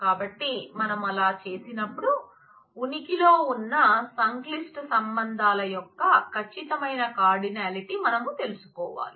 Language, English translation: Telugu, So, when we do that we have the precise cardinality of the complex relations that exist